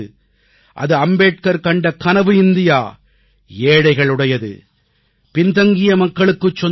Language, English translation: Tamil, It is an India which is Ambedkar's India, of the poor and the backward